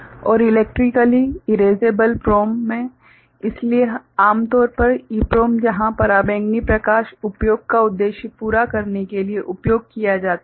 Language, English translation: Hindi, And in Electrically Erasable PROM, so, that is normally EPROM where ultraviolet you know light is used for using purpose